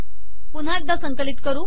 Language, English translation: Marathi, Lets compile this once more